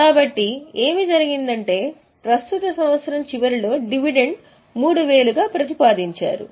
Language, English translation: Telugu, So, what has happened is at the end of the current year, we have made a proposed dividend of 3